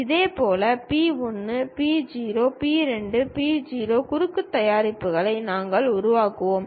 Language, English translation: Tamil, Similarly P 1, P 0; P 2, P 0 cross products we will construct